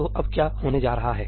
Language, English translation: Hindi, So, what is going to happen now